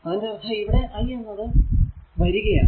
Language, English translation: Malayalam, So, if you see that i is equal to 3